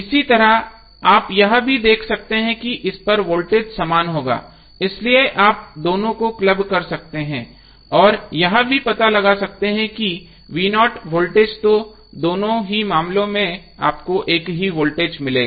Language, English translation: Hindi, Similarly, you can also see that is voltage across this would be same so you can club both of them and find out also the voltage V Naught so, in both of the cases you will get the same voltage